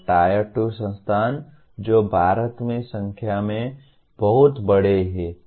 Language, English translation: Hindi, And Tier 2 institutions which are very large in number in India